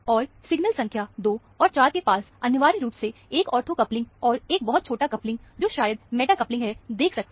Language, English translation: Hindi, And, signal number 2 and 4 are essentially having an ortho coupling, and a very small coupling, which might be meta coupling; you can see, barely see the coupling